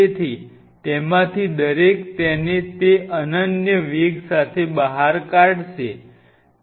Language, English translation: Gujarati, So, each one of them will be emitting it with that unique velocity